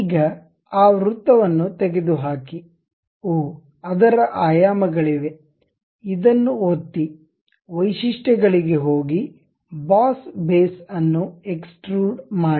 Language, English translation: Kannada, Now, remove that circle oh its dimensions are there; click this, go to features, extrude boss base